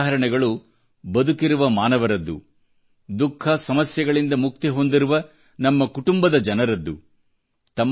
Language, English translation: Kannada, These stories are of live people and of our own families who have been salvaged from suffering